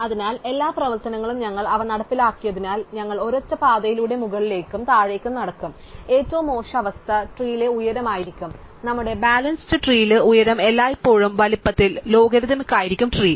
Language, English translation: Malayalam, So, thus because all of the operations as we implemented them, we will walk up and down a single path and so the worst case would be the height of the tree and in our balanced tree the height will always be logarithmic in the size of the tree